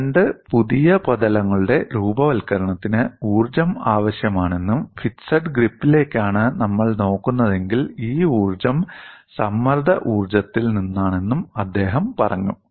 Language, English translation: Malayalam, He said, the formation of two new surfaces requires energy and this energy since we are looking at fixed grips comes from the strain energy